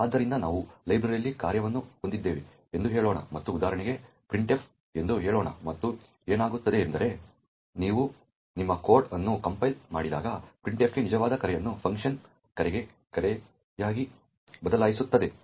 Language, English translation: Kannada, So, let us say we have a function present in a library and let us take for example say printf, and, what happens is that, when you compile your code, so the actual call to printf is replaced with a call to a function call printf at PLT